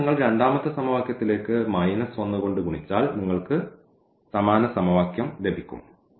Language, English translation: Malayalam, Here if you multiply by minus 1 to the second equation you will get the same equation